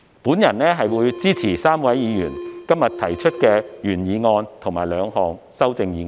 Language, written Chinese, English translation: Cantonese, 我支持該3位議員今天提出的原議案和兩項修正案。, I give my support to the original motion and the two amendments proposed by the three Members today . I so submit